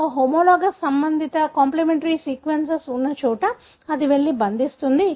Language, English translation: Telugu, So, wherever that homologous, the corresponding complimentary sequence is present, it will go and bind to